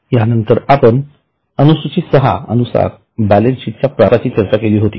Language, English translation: Marathi, After this we had started discussion on format as per Schedule 6